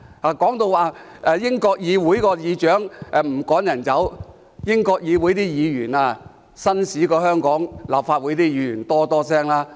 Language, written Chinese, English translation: Cantonese, 他們提到英國議會的議長不會把議員趕走，可是英國議會的議員較香港立法會議員紳士很多。, They mentioned that the Speaker of the British Parliament would not order Members to be withdrawn from the Chamber . Yet Members of the British Parliament make much of a gentleman than Members of the Legislative Council of Hong Kong